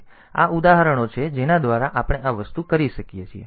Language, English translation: Gujarati, So, these are examples by which we can do this thing